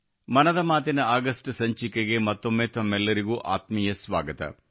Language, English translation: Kannada, A very warm welcome to you once again in the August episode of Mann Ki Baat